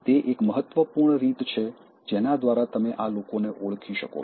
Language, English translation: Gujarati, It is one important one by which you can identify these people